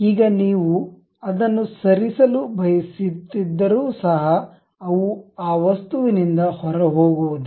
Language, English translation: Kannada, Now, even if you want to really move it, they would not move out of that object